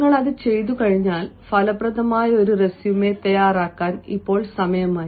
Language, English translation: Malayalam, when you have done that, now is the time that you came to draft an effective resume